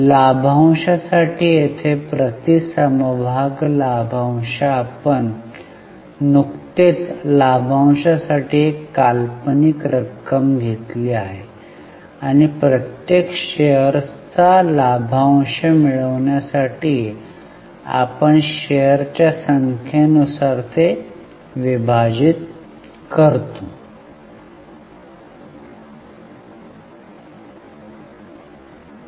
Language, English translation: Marathi, Dividend per share, here we have just taken one hypothetical amount for dividend and we will divide it by number of shares